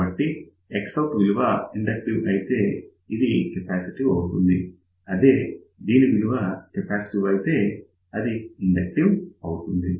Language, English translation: Telugu, So, if X out is inductive then this will be capacitive; if this is capacitive, this will become inductor